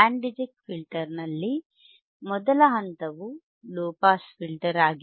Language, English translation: Kannada, In Band Reject Filter Band Reject Filter, first stage is low pass filter